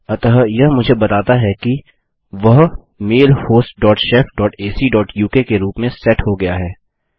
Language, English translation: Hindi, So this just tells me that that is set to mail host dot shef dot ac dot uk